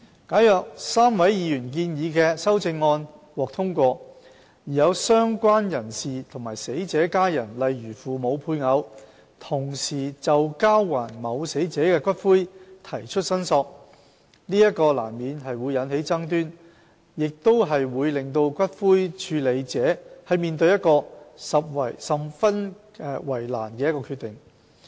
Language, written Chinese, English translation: Cantonese, 假如3位議員建議的修正案獲得通過，而有"相關人士"和死者的家人同時就交還某死者的骨灰提出申索，這難免會引起爭端，亦會使骨灰處理者面對一個十分為難的決定。, If the amendments proposed by the three Members are passed and the related person and family members of the deceased claim the return of ashes at the same time disputes will become inevitable and the ash handler will be placed in a difficult position